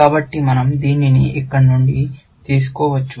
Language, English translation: Telugu, So, we can take this from here